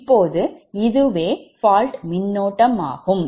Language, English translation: Tamil, right, so actually fault current is very high